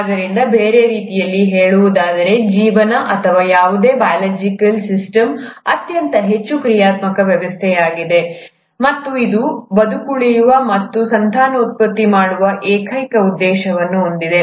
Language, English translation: Kannada, So in other words, life or any biological system is a very highly dynamic system, and it has it's sole purpose of surviving and reproducing